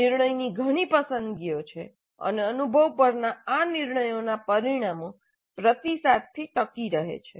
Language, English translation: Gujarati, There are many decision choices and the consequences of these decisions on the experience serve as the feedback